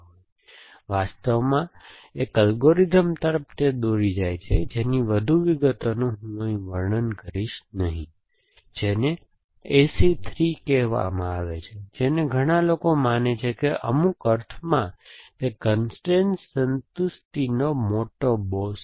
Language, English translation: Gujarati, So, that actually leads just in algorithm which I will not describing any more details here which is called A C 3, which was describe a who is consider by many, to be in some sense, the big boss of constrain satisfaction